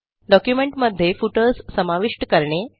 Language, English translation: Marathi, How to insert footers in documents